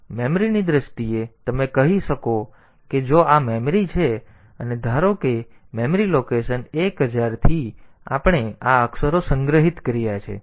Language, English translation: Gujarati, So, in terms of memory you can say that is if this is the memory and suppose from memory location 1000, we have got these characters stored